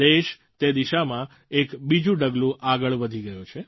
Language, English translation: Gujarati, The country has taken another step towards this goal